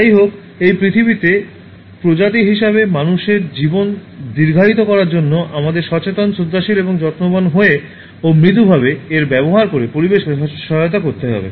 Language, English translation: Bengali, However, in order to prolong the life of human beings as species on this Earth we need to help the environment by being mindful, respectful and careful and making gently use of it